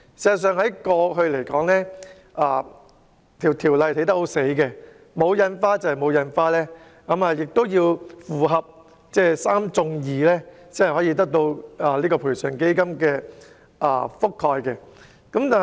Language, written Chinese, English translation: Cantonese, 事實上，法例過往欠缺靈活性，即使收據沒有蓋上印花，亦要符合"三中二"的要求才可獲賠償基金覆蓋。, In fact the ordinance lacked flexibility in the past even if the receipts were not stamped the cases would only be covered under TICF if the requirement of two out of three conditions was met